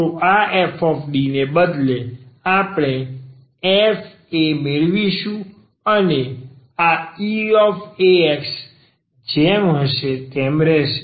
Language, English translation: Gujarati, So, instead of this f D, we will get f a and this e power a x will remain as it is